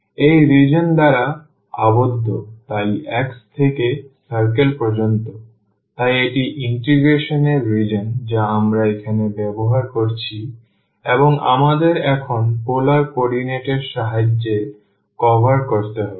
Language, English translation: Bengali, And the region enclosed by this one, so from x to the circle, so this is the region of integration which we are using here and we have to now cover with the help of the polar coordinate